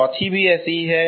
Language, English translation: Hindi, The fourth one is also like that